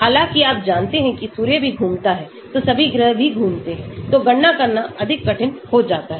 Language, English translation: Hindi, although, you know that Sun also moves then all the planets also move, so the calculations becomes more difficult to do